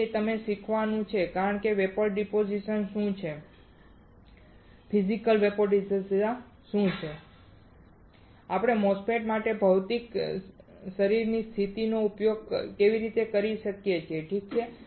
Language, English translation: Gujarati, So, that is the reason of teaching you what is Physical Vapor Deposition and how we can how we can use the physical body position for MOSFETs alright